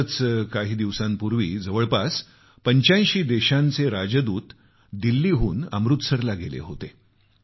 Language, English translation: Marathi, Just a few days ago, Ambassadors of approximately eightyfive countries went to Amritsar from Delhi